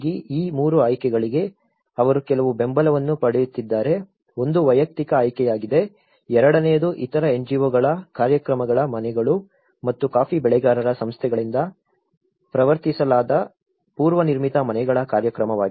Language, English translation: Kannada, For these 3 options, they have been getting some support, one is the individual option, the second one is houses from other NGOs programs and a program of prefabricated houses promoted by the coffee grower’s organizations